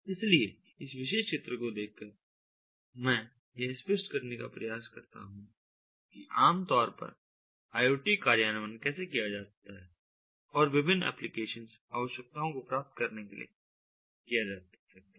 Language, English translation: Hindi, so, looking at this particular figure, i would like to try to clarify how the iot implementation is typically done and it can be done to achieve different application needs